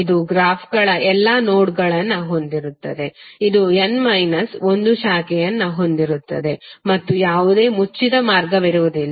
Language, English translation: Kannada, It will contain all nodes of the graphs, it will contain n minus one branches and there will be no closed path